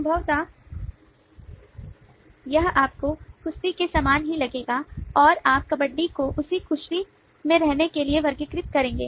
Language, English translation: Hindi, possibly you will find it most similar to wrestling and you will classify kabaddi to be in the same cluster as of wrestling